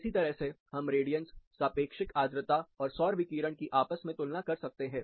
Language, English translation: Hindi, Similarly, we can compare the radiance, relative humidity, and solar radiation